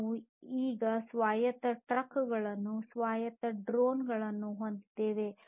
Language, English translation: Kannada, We now have autonomous trucks, autonomous drones